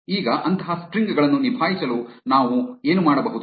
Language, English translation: Kannada, Now, to handle such strings what we can do is